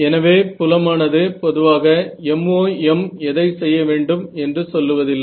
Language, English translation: Tamil, So, the field is so, MoM in general does not tell you which one to do